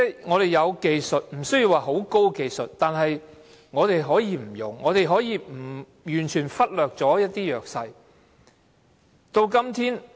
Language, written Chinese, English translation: Cantonese, 我們有技術，即使不是很高的技術，但我們可以不用，可以完全忽略弱勢人士。, We have the technology even though it is not a very advanced one but we can abandon it and completely ignore the disadvantaged